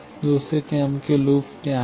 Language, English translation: Hindi, What is the second order loop